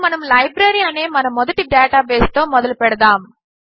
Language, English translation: Telugu, Let us consider a simple database for a Library